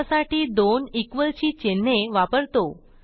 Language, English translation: Marathi, To do that, we use two equal to symbols